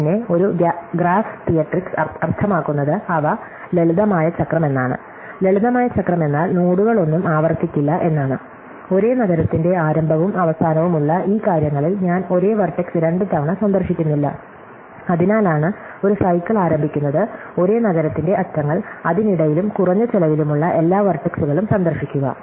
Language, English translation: Malayalam, In a graph theoretic sense what it means is that they have a simple cycle, simple cycle means that no nodes repeat, I do not visit the same vertex twice along this thing which starts and ends in the same state, that is why itÕs a cycle a starts and ends of the same city, same vertex, visit every vertex in between and of minimum cost